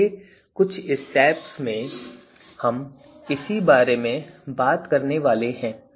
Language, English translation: Hindi, So, in the next few steps we are going to actually talk about this